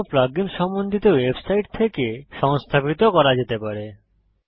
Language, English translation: Bengali, Other plug ins can be installed from the respective website